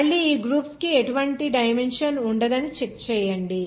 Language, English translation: Telugu, Again you just check it that these groups will not have any dimension